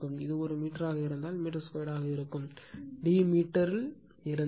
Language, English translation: Tamil, If it is a meter, then it will be your meter square, if d is in meter